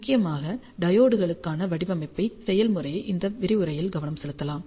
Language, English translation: Tamil, The design process for diodes is mainly focused in this lecture